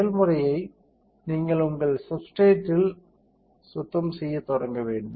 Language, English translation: Tamil, The procedure is you had to start with cleaning of your substrate